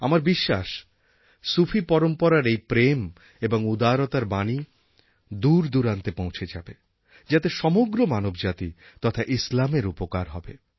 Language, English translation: Bengali, I am confident that the Sufi tradition which is associated with love and generosity will take this message far and wide and will thus benefit not only the humanity but also benefit Islam